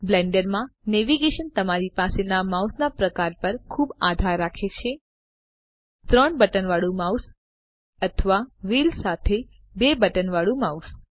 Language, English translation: Gujarati, Navigation in the Blender depends a lot on the type of mouse you have – a 3 button mouse or a 2 button mouse with a wheel